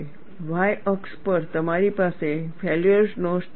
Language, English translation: Gujarati, On the y axis, you have the failure stress